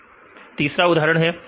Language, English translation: Hindi, So, this is example three